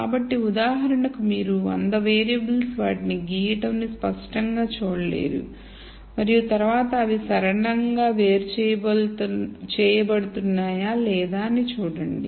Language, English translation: Telugu, So, for example, you cannot clearly see hundred variables plot them and then see whether they are linearly separable or not